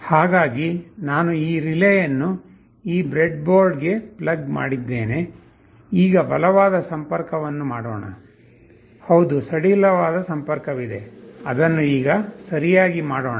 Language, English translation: Kannada, So I have plugged in this relay into this breadboard, let me make a solid connection … yes there is a loose connection let me just make it right